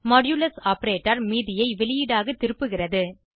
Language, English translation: Tamil, The modulus operator returns the remainder as output